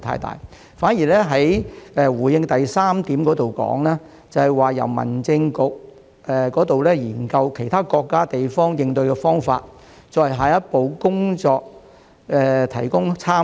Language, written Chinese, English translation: Cantonese, 局長在主體答覆第三部分提到，民政事務局正研究其他國家和地方的應對方法，為下一步工作提供參考。, As indicated by the Secretary in part 3 of the main reply the Home Affairs Bureau is now studying approaches of other countries and places so that reference can be provided for how the next step should be taken